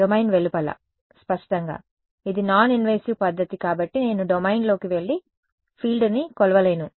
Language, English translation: Telugu, Outside the domain; obviously, because it is a non invasive method I cannot go inside the domain and measure field